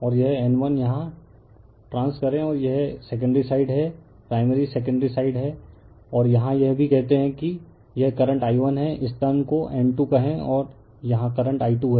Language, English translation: Hindi, And trans here it is N 1, and this is my secondary side, right primary secondary side and here also say current say this is I 1 turn this turn this is the N 2 and say current is here it is I 2